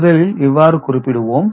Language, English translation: Tamil, So, first we represent in this manner